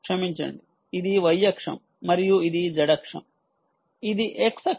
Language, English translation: Telugu, i am sorry, this is the y axis and this is the z axis, this is the x axis